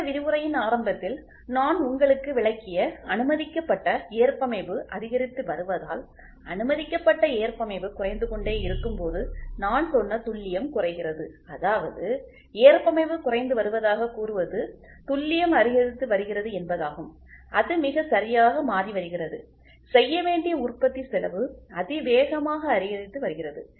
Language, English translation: Tamil, As the permissible tolerance goes on increasing which I explained to you in the beginning of this lecture the accuracy I said as the permissible tolerance goes on decreasing tolerance goes on decreasing; that means, to say the tolerance is decreasing, the accuracy is increasing it is becoming tighter and tighter, the manufacturing cost incurred to be achieved it goes on increasing exponentially